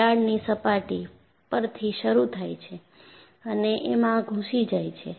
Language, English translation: Gujarati, And crack starts from the surface and penetrated